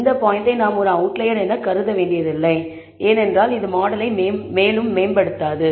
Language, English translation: Tamil, We need not treat this point as an outlier by itself, because it does not improvise the model any further